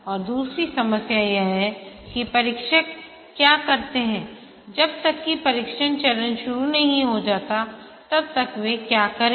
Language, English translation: Hindi, And the other problem is that what do the testers do till the testing phase starts, what do they do